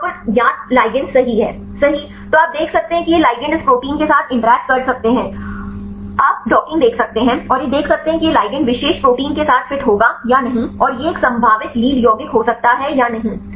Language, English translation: Hindi, And here the known ligand right then you can see these ligands can interact with this protein right you can see the docking, and see whether this ligand will fit right with the particular protein right and this could be a probable lead compound or not